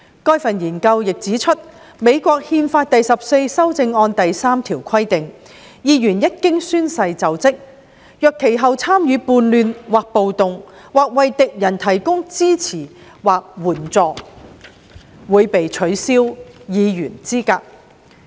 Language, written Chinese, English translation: Cantonese, 該份研究文件亦指出，美國憲法第十四修正案第3條規定，議員一經宣誓就職，若其後"參與叛亂或暴動"或"為敵人提供支持或援助"，會被取消議員資格。, As pointed out by the research paper section 3 of the Fourteenth Amendment to the US Constitution provides a disqualification for a Member who had taken an oath of office and had then engaged in insurrection or rebellion or given aid or comfort to the enemies thereof